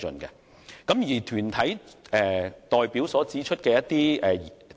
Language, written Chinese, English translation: Cantonese, 此外，團體代表提出了一些指引。, Besides members of the deputation proposed some guidelines